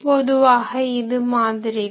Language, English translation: Tamil, So, usually like this